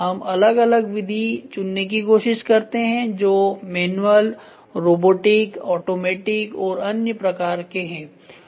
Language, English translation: Hindi, We try to choose different method that is manual robotic automatic and other things